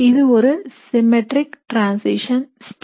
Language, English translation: Tamil, That means, a very symmetric transition state